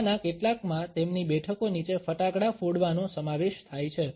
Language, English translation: Gujarati, Some of them included bursting crackers beneath their seats